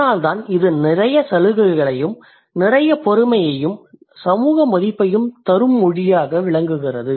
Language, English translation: Tamil, That is why this is a language which brings a lot of privilege, a lot of prestige and social kind of value, right